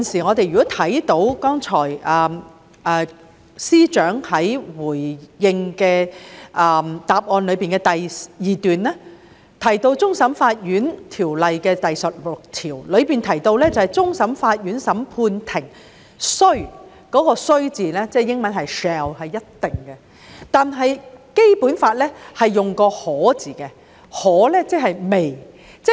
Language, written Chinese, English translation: Cantonese, 我們看到剛才司長在主體答覆的第二段提到《香港終審法院條例》第16條，其中"終審法院審判庭須"中的"須"字，英文是 "shall"， 即是一定的意思，但《基本法》則是用"可"字，即是 "may"。, We have noticed that in the second paragraph of the main reply the Chief Secretary referred to section 16 of the Hong Kong Court of Final Appeal Ordinance the word shall is used in all appeals shall be heard which means must . However in the Basic Law the word may is used instead